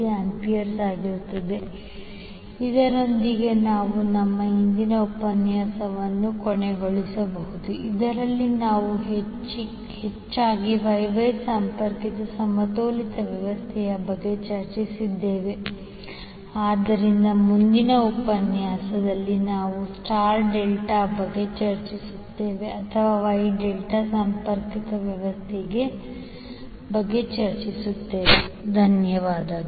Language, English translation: Kannada, 2 degree, so with we can close our today’s session in which we discussed mostly about the Y Y connected balanced system, so in next session we will discuss about star delta or you can say Y delta connected system thank you